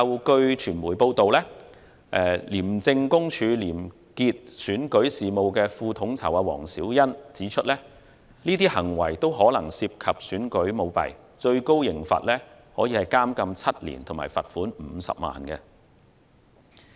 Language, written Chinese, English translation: Cantonese, 據傳媒報道，廉政公署廉潔選舉事務副統籌黃小欣指出，相關行為可能涉及選舉舞弊，最高刑罰是監禁7年及罰款50萬元。, According to media reports Deputy Programme Coordinator of ICAC Karen HUANG pointed out that such acts might lead to election fraud which was liable to a maximum penalty of imprisonment for seven years and a fine of 500,000